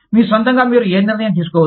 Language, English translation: Telugu, You do not take, any decision, on your own